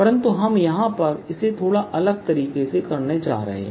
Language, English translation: Hindi, we are going to do it slightly differently